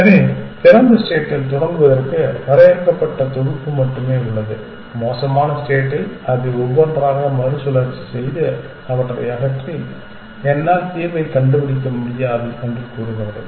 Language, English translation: Tamil, So, the open have only the finite set to start with and in the worst case it will pick them one by one and in a recycle and remove it and say I cannot find the solution